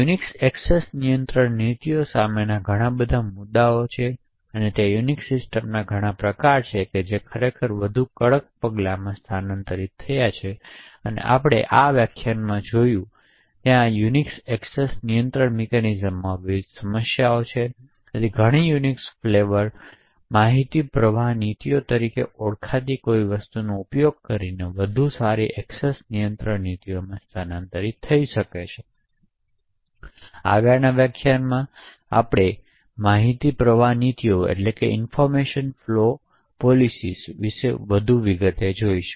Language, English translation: Gujarati, So therefore there are multiple issues with standard Unix access control policies and there are several variants of Unix systems which have actually migrated to more stringent measures, so as we see in this lecture there are various problems with the Unix access control mechanisms and therefore many Unix flavours has actually migrated to a much better access control policies using something known as information flow policies, so in the next lecture we look at more details about information flow policies